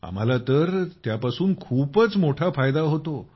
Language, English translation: Marathi, We have a great benefit through that